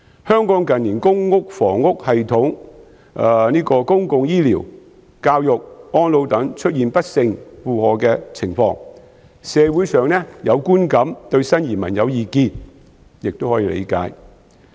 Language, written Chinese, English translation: Cantonese, 香港近年的公共房屋系統、公共醫療、教育和安老等出現不勝負荷的情況，社會上有觀感對新移民有意見亦可以理解。, As the public housing system public health care education and elderly services in Hong Kong have been overburdened in recent years the emergence of a negative social perception of new immigrants is understandable